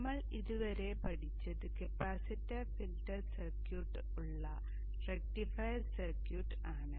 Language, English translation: Malayalam, We have learned how to simulate the rectifier capacitor filter circuit